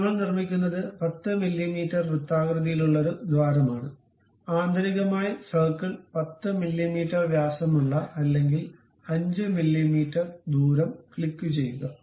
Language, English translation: Malayalam, So, what we make is a circular hole of 10 mm we make it, internally circle 10 mm diameter or 5 mm radius click, ok